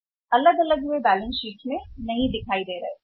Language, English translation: Hindi, Individually they were not appear in the balance sheet